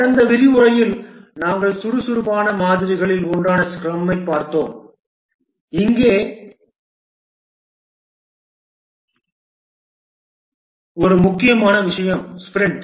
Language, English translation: Tamil, In the last lecture we looked at scrum which is one of the agile models and one important thing here is the sprint